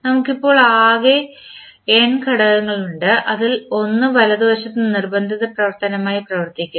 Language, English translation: Malayalam, So, we have now around total n element for one as the out as the forcing function on the right side